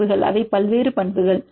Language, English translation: Tamil, Properties, which are various properties